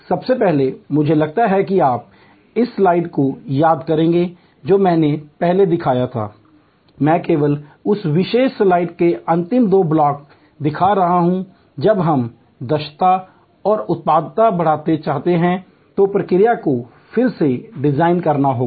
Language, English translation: Hindi, First, I think you will recall this slide which I had shown earlier, I am only showing the last two blocks of that particular slide, that in process redesign when we want to increase efficiency and productivity